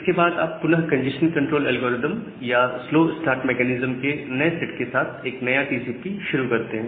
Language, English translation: Hindi, And you will again start a new TCP with this new set of congestion control algorithm or the new set of slow start mechanism